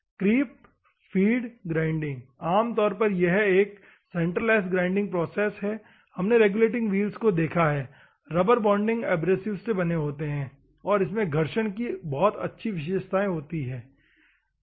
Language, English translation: Hindi, Creep feed grinding normally in a center grind centreless grinding process regulating wheels as we have seen they are made up of rubber bonding abrasives and has a good friction characteristics, ok